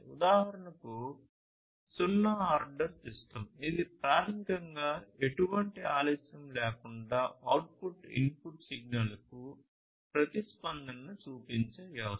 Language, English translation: Telugu, So, you have different things like zero ordered system, which is basically a system which where the output shows a response to the input signal with no delay